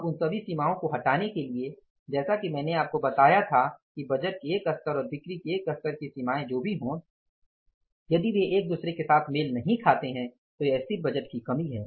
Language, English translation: Hindi, Now to remove all those limitations as I told you that whatever the limitations of the one level of budgeting and the one level of the sales if they do not match with each other that is a limitation of the static budget